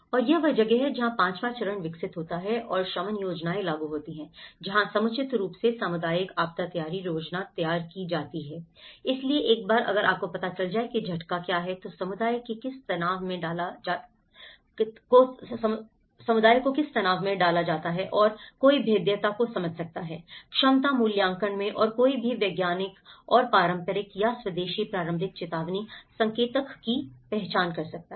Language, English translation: Hindi, And this is where the fifth step is develop and implement mitigation plans, where appropriate draw up a community disaster preparedness plan, so once, if you know what is the shock, what is the stress the community is put upon and one can understand the vulnerability in the capacity assessment and one can identify what are the scientific and traditional or indigenous early warning indicators